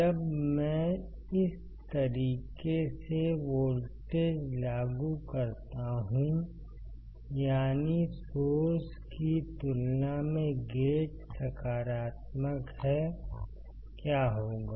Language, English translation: Hindi, When I apply voltage in this manner; that means, my gate is positive compared to source, my drain is positive compared to source